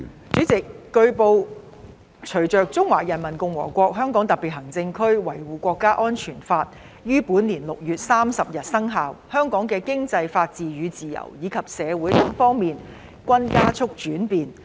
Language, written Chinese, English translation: Cantonese, 主席，據報，隨着《中華人民共和國香港特別行政區維護國家安全法》於本年6月30日生效，香港的經濟、法治與自由，以及社會等方面均加速轉變。, President it has been reported that with the Law of the Peoples Republic of China on Safeguarding National Security in the Hong Kong Special Administrative Region coming into operation on 30 June this year aspects of Hong Kong such as economy rule of law and freedom as well as society have shown accelerated changes